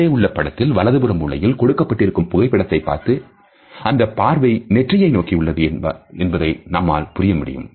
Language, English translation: Tamil, As you can make out by looking at the picture on the right hand side corner that the gaze is focused on the forehead and eyes